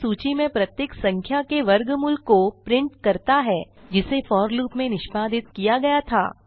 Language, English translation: Hindi, It printed the square root of each number in the list, which was executed in the for loop